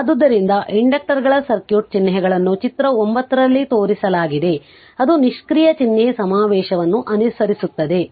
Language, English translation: Kannada, So, let me clear it so the circuit symbols for inductors are shown in figure 9 have following passive sign convention